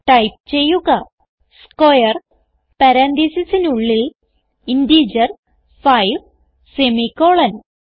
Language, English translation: Malayalam, So type square within parentheses an integer 5, semicolon